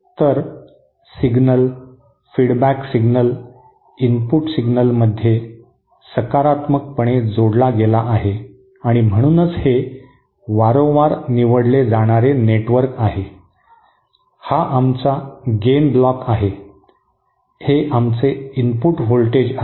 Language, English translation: Marathi, So the signal, the feedback signal is positively added to the input signal and so this is a frequently selective network, this is our gain block, this is our input voltage